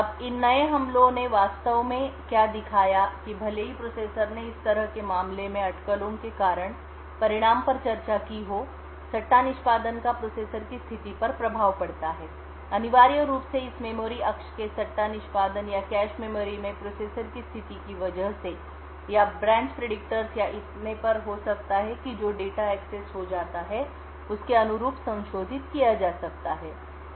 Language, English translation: Hindi, Now what these new attacks actually showed was that even though the processor discussed the result due to speculation in such a case the speculative execution has an effect on the state of the processor, essentially due to this speculative execution of this memory axis or the state of the processor may be in the cache memories or the branch predictors or so on may be modified corresponding to the data which gets accessed